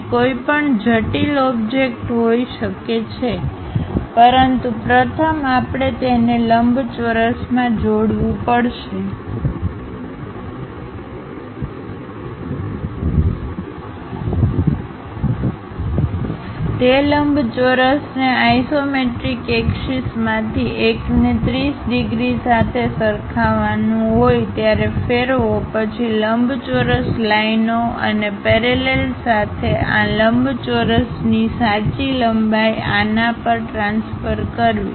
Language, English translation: Gujarati, It can be any complicated object, but first we have to enclose that in a rectangle, rotate that rectangle one of the isometric axis one has to identify with 30 degrees then transfer the true lengths of this rectangle onto this with the perpendicular lines and parallel kind of lines and locate the points which we will like to transfer it